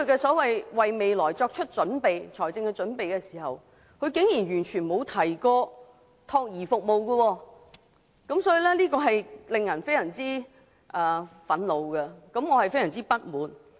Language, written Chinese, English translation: Cantonese, 他為未來作出的所謂財政撥備，竟然完全不包括託兒服務，令人非常憤怒和不滿。, Surprisingly his so - called financial provisions for the future have completely excluded child care services which is very infuriating and disappointing